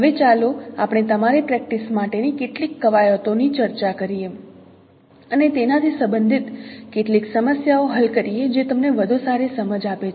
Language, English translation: Gujarati, Now let us know for your practice let us discuss some of the exercises, solve some of the problems related to that it will give you a better insight